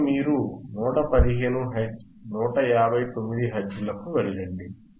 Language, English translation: Telugu, Now, you go down all the way to 115 159 Hertz, 159 Hertz